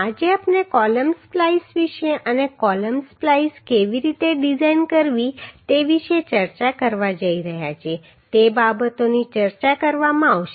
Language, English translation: Gujarati, Today we are going to discuss about the column splices and how to design the column splices those things would be discussed